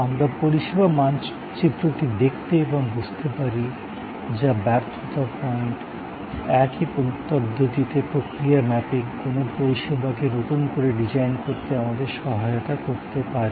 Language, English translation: Bengali, We can look at the service map and understand, which are the failure points, in the same way process mapping can also help us to redesign a service